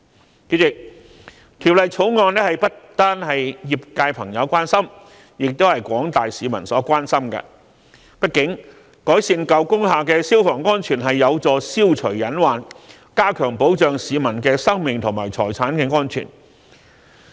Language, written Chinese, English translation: Cantonese, 代理主席，《條例草案》不單為業界朋友所關心，也是廣大市民所關心的，畢竟改善舊工廈的消防安全有助消除隱患，加強保障市民的生命和財產安全。, Deputy President the Bill is of concern to not only those in the industry but also the general public . After all improvement to the fire safety of old buildings can help remove potential risks and enhance protection for the personal safety and property of the public